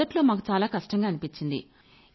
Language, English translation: Telugu, Initially we faced a lot of problems